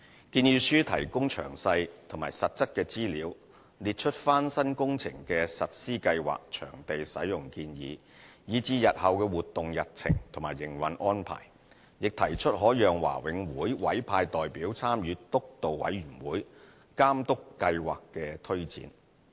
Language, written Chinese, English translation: Cantonese, 建議書提供詳細和實質的資料，列出翻新工程的實施計劃、場地使用建議，以至日後的活動日程及營運安排，亦提出可讓華永會委派代表參與督導委員會，監督計劃的推展。, The proposal provides detailed and concrete information with renovation schedule suggestions for venue uses as well as future activity calendar and operational arrangements . The proposal also states that BMCPC may send representatives to participate in the steering committee which would monitor the progress of the project